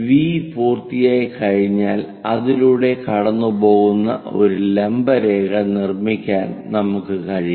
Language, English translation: Malayalam, Once V is done, we can construct a perpendicular line passing through